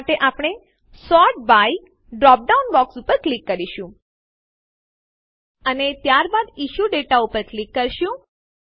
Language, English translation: Gujarati, For this, we will click the Sort by dropdown box, and then click on Issue Date